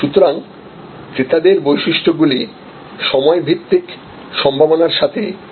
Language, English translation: Bengali, So, buyer characteristics will be the matched with the time based possibilities